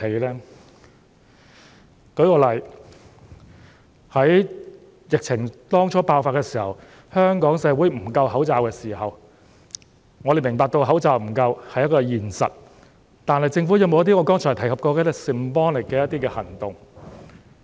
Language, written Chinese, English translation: Cantonese, 讓我舉個例子，在疫情剛爆發時，香港社會口罩不足，我們明白口罩不足是一個現實，但政府有否採取一些我剛才提及的 symbolic 的行動？, Let me cite an example . At the start of the outbreak there was a shortage of face masks in society . We understand that the shortage was real but did the Government take any symbolic action that I just mentioned?